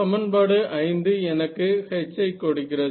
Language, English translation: Tamil, So, this becomes my equation 5